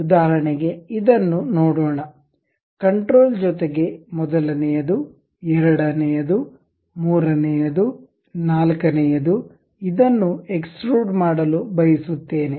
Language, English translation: Kannada, For example, let us look at this one control, second, third, fourth this is the thing what I would like to extrude